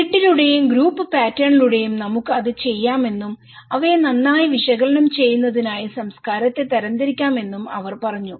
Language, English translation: Malayalam, She was telling that we can do it through the grid and group pattern, we can categorize the culture in order to analyse them better